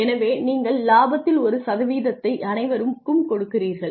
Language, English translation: Tamil, So, you give a percentage of the profit to everybody